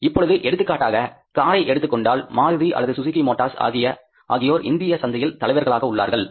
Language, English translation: Tamil, Now, for example, if you talk about the car industry, Maruti is the or the Suzuki Motors is the leader now in the Indian market